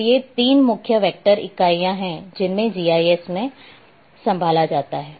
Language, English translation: Hindi, So, these are the 3 main vector entities which are handled in GIS